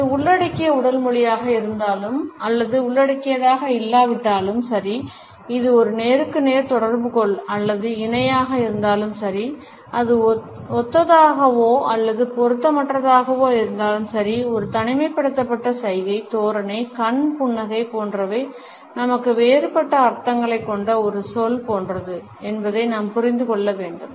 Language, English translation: Tamil, Whether it is an inclusive body language or non inclusive; whether it is a face to face interaction or parallel or whether it is congruent or incongruent, we have to understand that an isolated gesture, posture, eye smile etcetera is like a word which we have different meanings